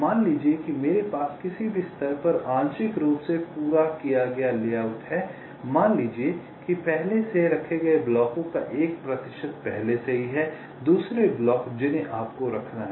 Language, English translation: Hindi, suppose i have a partially completed layout at any stage, suppose there are already a percentage of the blocks already placed